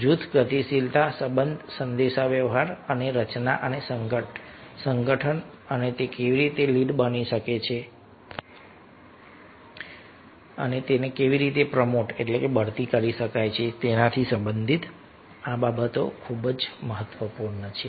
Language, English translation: Gujarati, so these things are very, very important related to group dynamics, relationship, communications and formation and organization and how it can be, how it can be lead and how it can be promoted